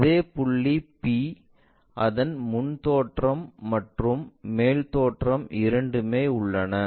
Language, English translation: Tamil, The same point p, where we have both the front view and top view